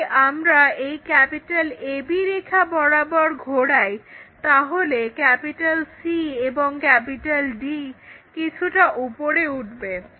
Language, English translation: Bengali, If we are rotating about A B line, lifting up this C and D bit up